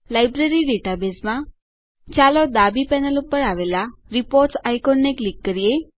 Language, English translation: Gujarati, In the Library database, Let us click on the Reports icon on the left panel